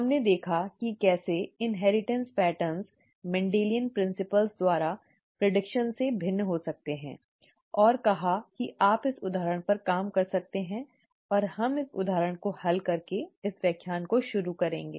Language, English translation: Hindi, We saw how the inheritance patterns could be different from those predicted by Mendelian principles and said that you could work out this example and we would start this lecture by solving this example